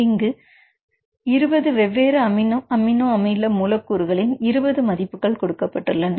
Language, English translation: Tamil, So, for the 20 different amino acid residues